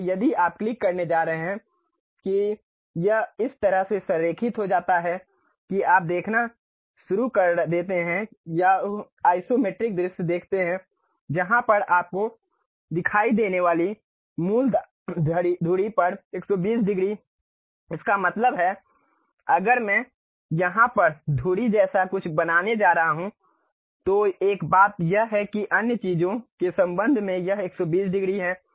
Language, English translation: Hindi, So, if you are going to click that it aligns in such a way that you start seeing or uh isometric view where 120 degrees on the principal axis you will see; that means, if I am going to draw something like axis here, one of the thing axis what it does is 120 degrees with respect to other things